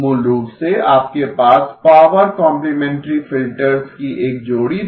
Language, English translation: Hindi, Basically, you had a pair of power complementary filters